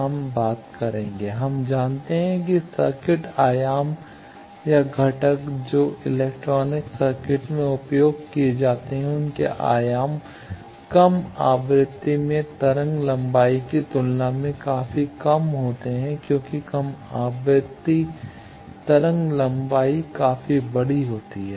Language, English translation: Hindi, We know that the circuit dimensions or components that are used in electronic circuit their dimensions are quite less than wave length in low frequency because low frequency wave length is quite large